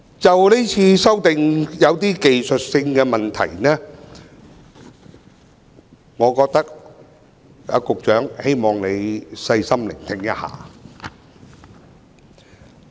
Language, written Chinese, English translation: Cantonese, 就今次的修正案，我有些技術性的問題，希望局長可以細心聆聽我的發言。, I have some technical questions about the amendments to the Bill and I hope the Secretary can listen carefully to my speech